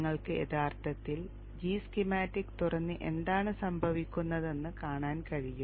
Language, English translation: Malayalam, You can in fact open G Schematics and see what happens, what pops it